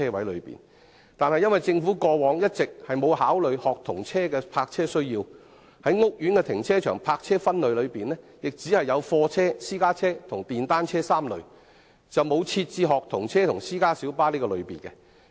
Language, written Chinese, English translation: Cantonese, 由於政府過往一直沒有考慮學童車的泊車需要，所以屋苑停車場的泊車分類只有貨車、私家車及電單車3類，而沒有學童車及私家小巴的類別。, Since the Government has not considered the parking needs of student service vehicles the parking spaces in housing estates are classified only into three types namely goods vehicles private cars and motor cycles to the exclusion of student service vehicles and private light buses